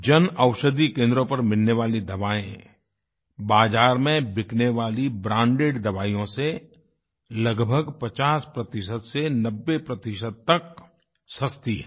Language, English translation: Hindi, Medicines available at the Jan Aushadhi Centres are 50% to 90% cheaper than branded drugs available in the market